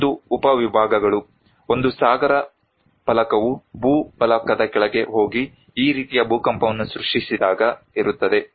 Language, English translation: Kannada, Another was is the subductions; there is when one oceanic plate goes under the land plate and created the this kind of earthquake